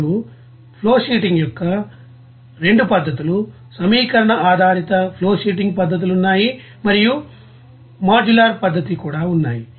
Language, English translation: Telugu, Now 2 methods of flowsheeting here equation oriented method of flowsheetings are there and also modular method of flowsheetings are there